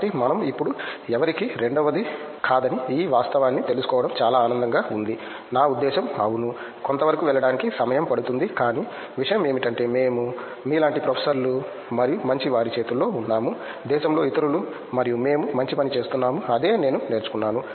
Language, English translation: Telugu, So, it was a pleasant surprise to learn this fact that we are second to none now, I mean yeah, it takes time to go to the certain extent, but the thing is we are in a in a good hands like professors like you and others in the country and we are doing a good work also that’s what I learnt